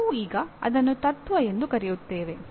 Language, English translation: Kannada, Only thing we now call it a principle